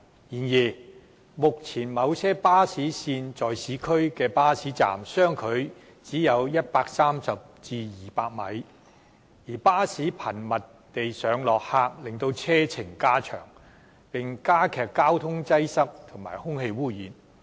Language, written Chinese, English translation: Cantonese, 然而，目前某些巴士線在市區的巴士站相距只有130至200米，而巴士頻密地上落客令車程加長，並加劇交通擠塞和空氣污染。, However the current bus stop spacing of certain bus routes in urban areas is only 130 to 200 metres and the frequent pick - updrop - off of passengers by buses has prolonged the journeys as well as aggravated traffic congestions and air pollution